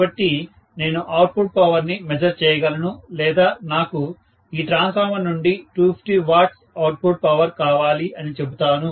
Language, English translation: Telugu, So, I may be able to measure the output power or I may say that I want an output power of maybe 250 watts from this transformer